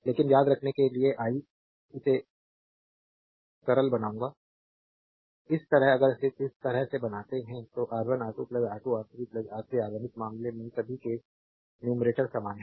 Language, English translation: Hindi, But how to remember I will simplify it; this way if you just make it like this, the R 1 R 2 plus R 2 R 3 plus R 3 R 1; all the case numerator in this case is same